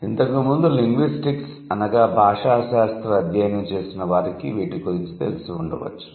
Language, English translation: Telugu, So, those who have studied linguistics before, you might be aware about it